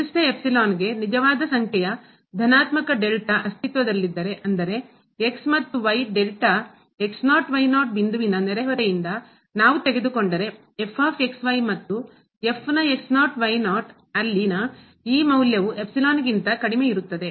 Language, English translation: Kannada, If for a given epsilon there exist a real number delta positive; such that this difference between and this value of at less than epsilon whenever these and ’s if we take from the delta neighborhood of naught naught point